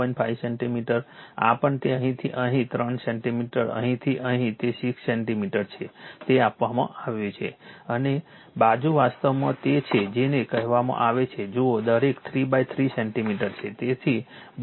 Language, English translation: Gujarati, 5 centimeter this also it is given from here to here 3 centimeter from here to here it is 6 centimeter it is given right and side is actually your what you call sides are 3 into 3 centimeter each